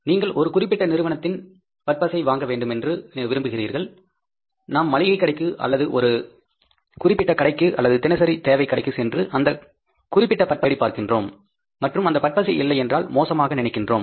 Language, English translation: Tamil, Even you think about that if you want to buy some product, we want to buy the toothpaste of one particular brand, we go to the grocer or one particular store, daily needs store, and we try to find out that toothpaste, and if that toothpaste is not available there, we feel bad